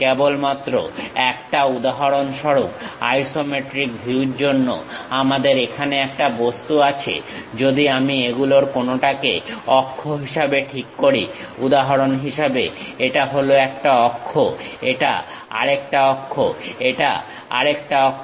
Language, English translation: Bengali, Just an example, we have an object here for isometric view; if we are fixing some of them as axis, for example, this is one axis, this is another axis, this is another axis